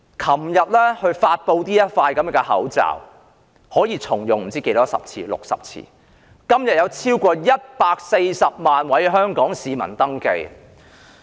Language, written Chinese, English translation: Cantonese, 昨天發布這個可以重用60次的口罩，今天已超過140萬位香港市民登記。, After yesterdays announcement that this mask could be reused 60 times over 1.4 million Hong Kong people have registered today